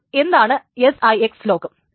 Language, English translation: Malayalam, So what exactly is the six lock